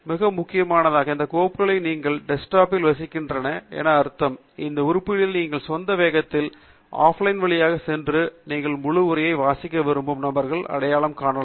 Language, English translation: Tamil, And most importantly, these files reside on your desktop, which means, that you can go through these items at your own pace, offline, and identify those who you want to read the full text of, and so on